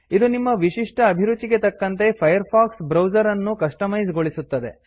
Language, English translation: Kannada, It customizes the Firefox browser to your unique taste